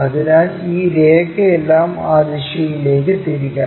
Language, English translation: Malayalam, So, all this line has to be rotated in that direction